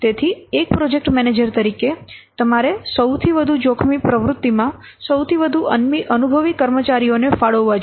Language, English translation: Gujarati, So, as a project manager, you should allocate more experienced personnel to those critical activities